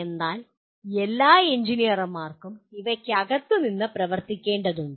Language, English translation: Malayalam, So all engineers are required to work within them